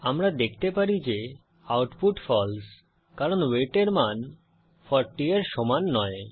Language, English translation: Bengali, As we can see, the output is False because the value of weight is not equal to 40